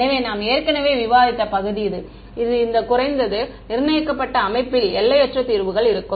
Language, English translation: Tamil, So, we this is the part we have already discussed that the underdetermined system will have infinite solutions